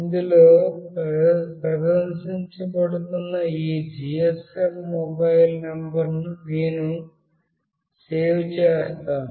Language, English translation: Telugu, I have saved this GSM mobile number that is being displayed in this